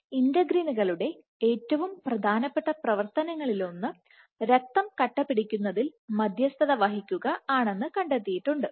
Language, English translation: Malayalam, So, integrins, one of the most important function of integrins was found in the case of mediating blood clotting